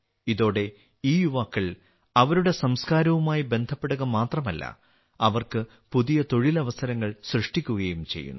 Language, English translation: Malayalam, With this, these youth not only get connected with their culture, but also create new employment opportunities for them